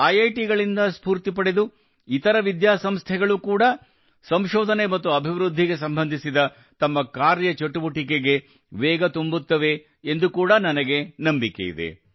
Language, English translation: Kannada, I also hope that taking inspiration from IITs, other institutions will also step up their R&D activities